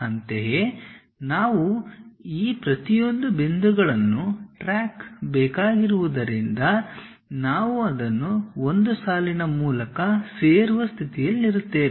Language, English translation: Kannada, In the similar way we have to track it each of these points so that, we will be in a position to join that by a line